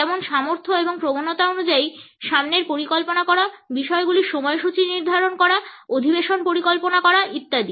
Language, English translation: Bengali, For example, the capability and tendency to plan ahead, to schedule things, to schedule meetings etcetera